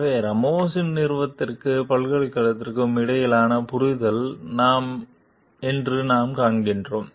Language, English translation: Tamil, So, that we find was the understanding between the Ramos s company and the university